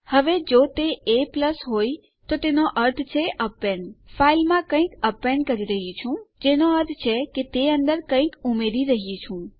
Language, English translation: Gujarati, Now if it was a+ that means append so Im appending something onto the file, which means that Im adding to it